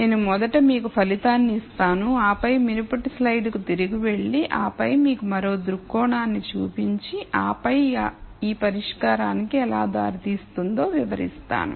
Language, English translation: Telugu, I will first give you the result and then explain the result again by going back to the previous slide and then showing you another viewpoint and then how that leads to this solution